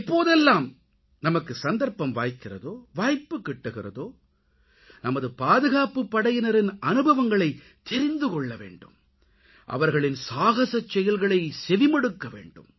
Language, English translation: Tamil, Whenever we get a chance or whenever there is an opportunity we must try to know the experiences of our soldiers and listen to their tales of valour